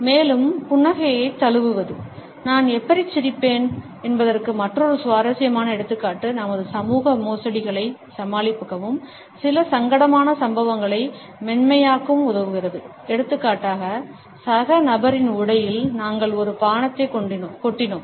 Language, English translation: Tamil, And embrace the smile is also another interesting example of how I smile enables us to overcome our social faux pas as well as to smoothen over certain uncomfortable incidents for example, we have spilt a drink on the dress of a fellow person